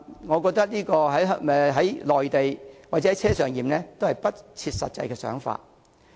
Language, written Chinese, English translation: Cantonese, 我覺得"內地檢"或"車上檢"均是不切實際的想法。, I think the other proposed options of clearance on the Mainland or on - board clearance are infeasible